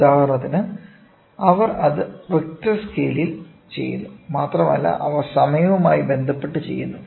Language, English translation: Malayalam, So, for example, they do it on riche scales and then they also do it with respect to time